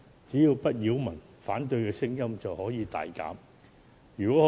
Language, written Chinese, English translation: Cantonese, 只要不擾民，反對的聲音便會大減。, If bazaars do not create nuisances voices of opposition will be greatly reduced